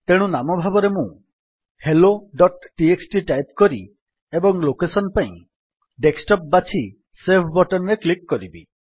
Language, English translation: Odia, So let me type the name as hello.txt and for location I select it as Desktop and click on Save button